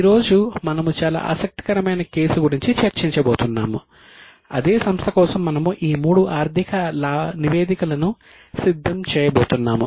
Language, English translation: Telugu, Today we are going to discuss a very interesting case where for the same company we are going to prepare all the three financial statements